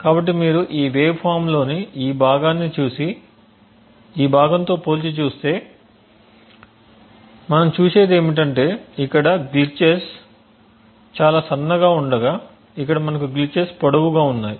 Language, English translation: Telugu, So if you see look at this part of this waveform and compare it with this part what we see is that the glitches are very thin over here while over here we have longer glitches